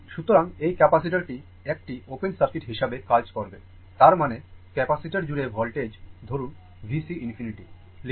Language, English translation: Bengali, So, this capacitor will act as open circuit right; that means, that means voltage across the capacitor say, we can write V C infinity right; say we can write V C infinity